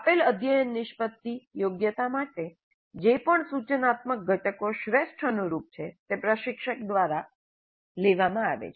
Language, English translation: Gujarati, Whatever instructional components are best suited for the given CO or competency are picked up by the instructor